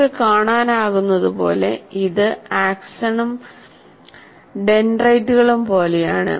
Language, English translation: Malayalam, As you can see, it also looks like the axon and the dendrites kind of thing